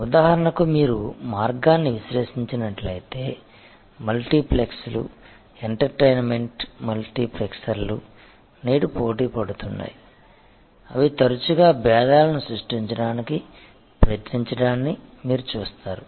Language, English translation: Telugu, So, if you analyze the way for example, the multiplexes the entertainment multiplexers are today competing you will see their most often trying to create differentials